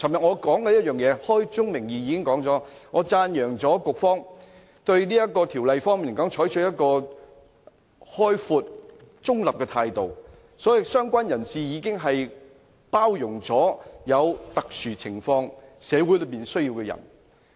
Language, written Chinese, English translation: Cantonese, 我昨天已開宗明義讚揚局方對《條例草案》採取開放而中立的態度，所以"相關人士"已包容社會上在特殊情況下有需要的人。, Right at the beginning of my speech yesterday I already expressed appreciation of the Bureau for adopting an open and neutral stance on the Bill . This is why I think related person already covers all those people with such need in special circumstances in society